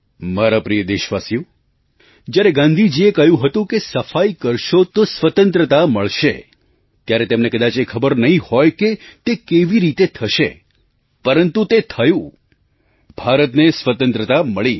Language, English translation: Gujarati, My dear countrymen, when Gandhiji said that by maintaining cleanliness, freedom will be won then he probably was not aware how this would happen